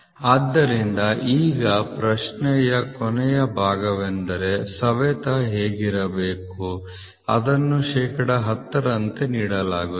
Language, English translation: Kannada, So, now the last part of the question is going to be what should be the wear and tear which is given as of 10 percent, ok